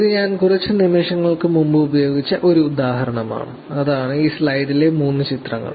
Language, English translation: Malayalam, So, this is again example, that I talked few seconds back which is the three images in this slide